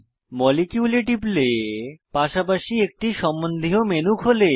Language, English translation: Bengali, Select Molecule a contextual menu opens alongside